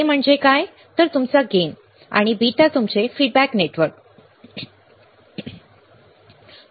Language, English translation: Marathi, What is A, is your gain; and beta is your feedback network right